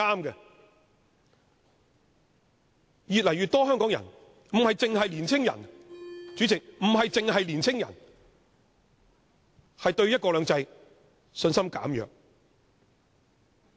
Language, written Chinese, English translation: Cantonese, 然而，越來越多香港人，不只年青人，對"一國兩制"的信心減弱。, Nevertheless more and more Hong Kong people and not limited to young people have become less confident in one country two systems